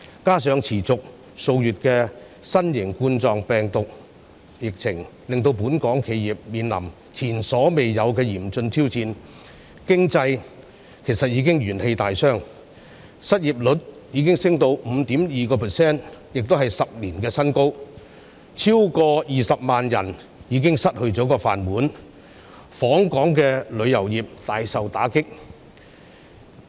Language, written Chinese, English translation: Cantonese, 加上持續數月的新型冠狀病毒疫情，令本港企業面臨前所未有的嚴峻挑戰，經濟元氣大傷，失業率升至 5.2%， 是10年新高，超過20萬人失去"飯碗"，訪港旅遊業大受打擊。, Coupled with the novel coronavirus epidemic which has persisted for months local businesses are thus facing an unprecedentedly grave challenge . The economy has fatally weakened . The unemployment rate has risen to 5.2 % hitting a new high in 10 years